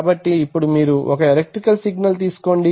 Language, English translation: Telugu, So that some electrical signal can be generated